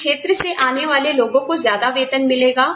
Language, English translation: Hindi, People coming from this region, will get a higher pay